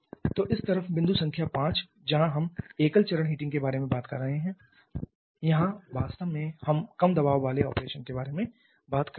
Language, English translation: Hindi, So, in this side the point number 5 where we are talking about a single visiting here actually are talking about a low pressure operation